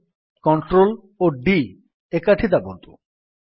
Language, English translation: Odia, Now press the Ctrl and D keys together